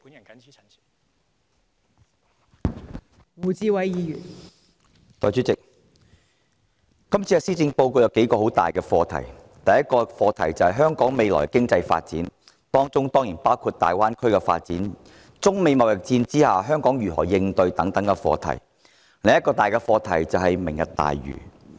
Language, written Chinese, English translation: Cantonese, 代理主席，今年的施政報告有數個很大的課題，其一涉及香港未來的經濟發展，當中包括粵港澳大灣區的發展，以及香港如何應對中美貿易戰等課題；另一大課題則是"明日大嶼"。, Deputy President the Policy Address this year covers several major topics . One of them concerns the future economic development of Hong Kong which includes such issues as the development of the Guangdong - Hong Kong - Macao Greater Bay Area and what countermeasures Hong Kong has amid the trade war between China and the United States . Another major topic is the Lantau Tomorrow Vision